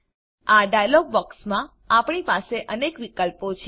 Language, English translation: Gujarati, In this dialog box, we have several options